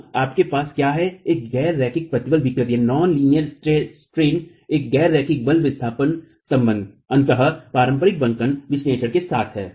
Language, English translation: Hindi, So, what you have is a nonlinear stress strain, a non linear force displacement relationship ultimately with conventional bending analysis